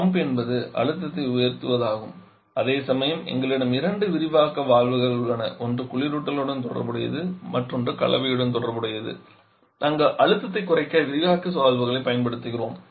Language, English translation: Tamil, The solution pump is the one that is rising the pressure whereas we have 2 expansion valves one corresponding to the refrigerant other corresponding to the mixture where we are using the expansion valves to lower the pressure